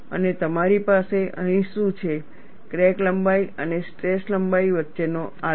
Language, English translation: Gujarati, And what you have here is a graph between crack length and stress